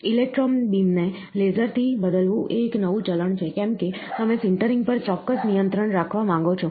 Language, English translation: Gujarati, Replacing laser with electron beam is a new trend, why because you want to have a precise control of sintering